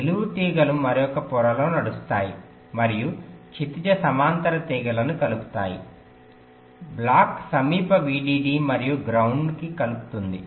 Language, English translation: Telugu, the vertical wires run in another layer and connect the horizontal wires block connects to the nearest vdd and ground